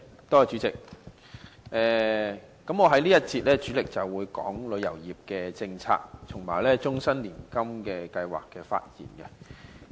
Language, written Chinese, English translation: Cantonese, 代理主席，我在這一節主要就旅遊業政策和終身年金計劃發言。, Deputy President I will mainly speak on the tourism policy and the Life Annuity Scheme in this session